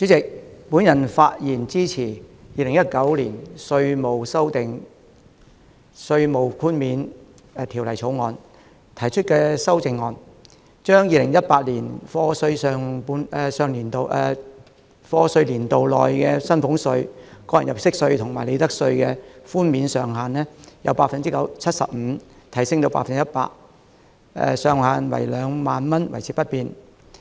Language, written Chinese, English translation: Cantonese, 主席，我發言支持《2019年稅務條例草案》提出的修正案，將 2018-2019 課稅年度內薪俸稅、個人入息課稅及利得稅的寬免上限由 75% 提升至 100%， 上限2萬元維持不變。, Chairman I rise to speak in support of the amendment to the Inland Revenue Amendment Bill 2019 which seeks to increase the tax reduction of salaries tax profits tax and tax under personal assessment for the year of assessment 2018 - 2019 from 75 % to 100 % while retaining the ceiling of 20,000